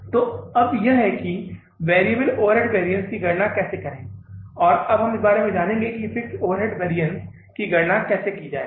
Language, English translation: Hindi, So now this is how to calculate the variable overhead variance and now we will learn about how to calculate the fixed overhead variance